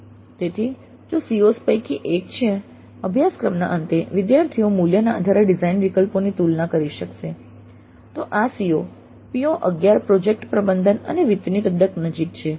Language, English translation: Gujarati, So if one of the COs is at the end of the course students will be able to compare design alternatives based on cost, then this COE is quite close to PO 11, project management and finance